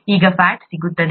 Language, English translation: Kannada, Then you get fat